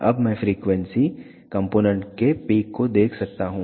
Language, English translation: Hindi, Now, I can see the peak of the frequency component